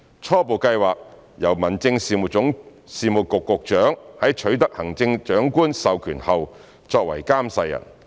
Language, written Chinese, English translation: Cantonese, 初步計劃由民政事務局局長在取得行政長官授權後作為監誓人。, The preliminary plan is that the Secretary for Home Affairs will with authorization by the Chief Executive be the oath administrator